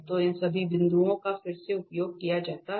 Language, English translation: Hindi, So, all these points to be used again